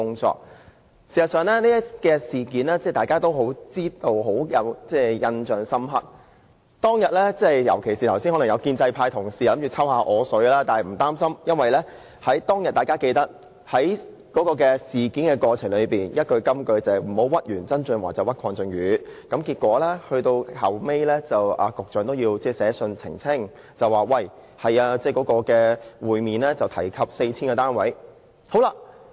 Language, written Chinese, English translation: Cantonese, 事實上，大家對此事也有深刻的印象，而儘管建制派同事剛才想向我"抽水"，但我並不擔心，因為大家都記得當時曾經出現一句金句，就是"不要屈完曾俊華就屈鄺俊宇"，結果局長其後也要發信澄清，說會面確有提及 4,000 個單位。, Although just now a pro - establishment colleague tried to take advantage of me I am not worried at all . We all recall a sound bite at that time Do not wrong KWONG Chun - yu after trying to wrong John TSANG . In the end the Secretary for Transport and Housing had to issue a letter to clarify that he did mention 4 000 units at the meeting